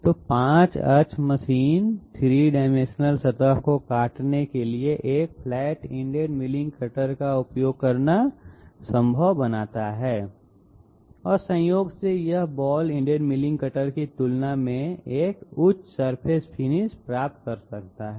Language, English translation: Hindi, So 5 axis machine makes it possible to use a flat ended milling cutter to cut a 3 dimensional surface and incidentally it can achieve a higher surface finish compared to the ball ended milling cutter